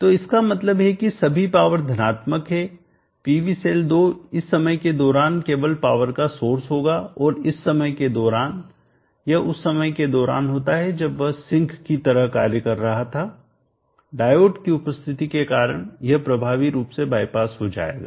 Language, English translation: Hindi, So which means all the powers are positive the PV cell 2 will only source power during this time and during this time it does during the time when it was sinking earlier because of the presence of the diode it will get effectively bypass by the diode